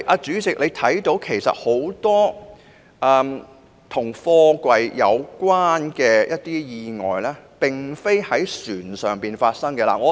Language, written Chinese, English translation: Cantonese, 主席，多宗與貨櫃有關的意外其實並非在船上發生的。, President a number of container - related accidents actually did not happen on vessels